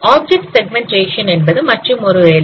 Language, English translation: Tamil, Object segmentation is another task